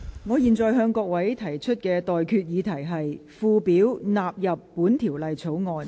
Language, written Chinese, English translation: Cantonese, 我現在向各位提出的待決議題是：附表納入本條例草案。, I now put the question to you and that is That the Schedule stands part of the Bill